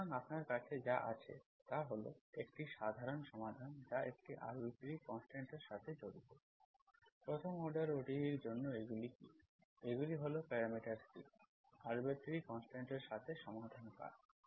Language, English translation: Bengali, So what you have is, if you, if you have a general solution that involves an arbitrary constant, what are these for first order ODE, these are solution curves with the parameter C, the arbitrary constant